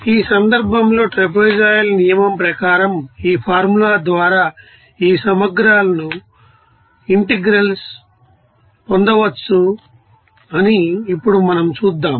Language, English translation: Telugu, In this case let us see that thinks now we will see that in this case this integrals can be you know, obtained by this formula as per trapezoidal rule